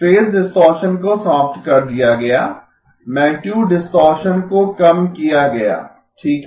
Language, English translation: Hindi, Phase distortion eliminated, magnitude distortion is minimized okay